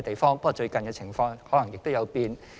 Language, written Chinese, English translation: Cantonese, 不過，最近的情況可能有變。, However the situation may have changed recently